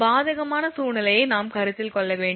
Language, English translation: Tamil, I mean we have to consider the adverse scenario